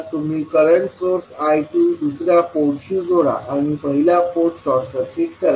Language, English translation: Marathi, You will connect current source I 2 to the second port and you will short circuit the first port